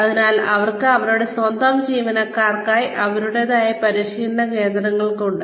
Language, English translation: Malayalam, So they have their own training centers, for their own employees